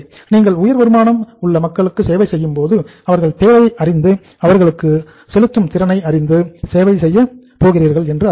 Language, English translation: Tamil, It means when you are serving the high income group people their needs you understand, their paying capacity you understand